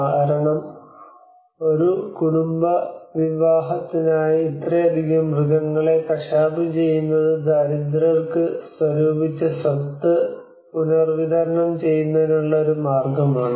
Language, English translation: Malayalam, Because the butchering of so many animals for a family wedding is a way of redistributing the accumulated wealth to the poor